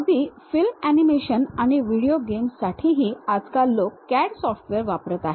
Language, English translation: Marathi, Even for film animations and video games, these days people are using CAD software